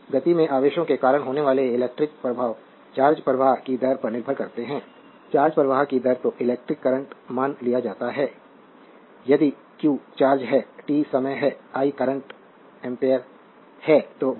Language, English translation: Hindi, So, the electrical effects caused by charges in motion depend on the rate of charge flow, the rate of charge flow is known as the electric current suppose if q is the charge, t is the time and i is the currents